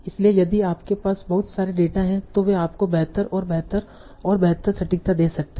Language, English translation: Hindi, So if you have lots and lots of data, they can give you better and better accuracy